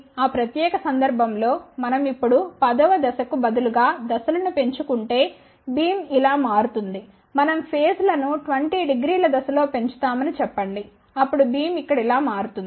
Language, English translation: Telugu, In that particular case we will shift like this if we now increase the phases instead of step of 10 let us say we increase the steps by 20 degree then the beam will shift like this here